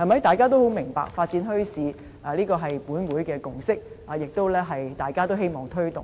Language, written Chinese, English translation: Cantonese, 大家也十分明白，發展墟市是立法會的共識，大家也同樣希望推動。, We all understand very well that the development of bazaars is a consensus of the Legislative Council and we all wish to take it forward